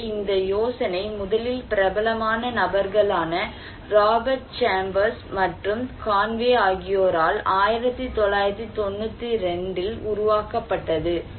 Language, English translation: Tamil, So, this idea came originally developed by famous person Robert Chambers and Conway in 1992, quite long back